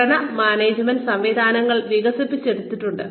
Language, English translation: Malayalam, Performance management systems are developed